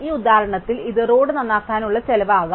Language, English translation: Malayalam, In this example, the weight for instance could be the cost of repairing a road